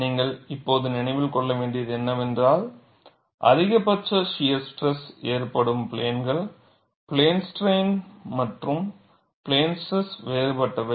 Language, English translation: Tamil, And what you will have to now remember is the plane where the maximum shear stress occurs, is different in plane strain, as well as plane stress